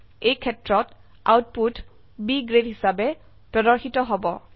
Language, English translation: Assamese, In this case, the output will be displayed as B Grade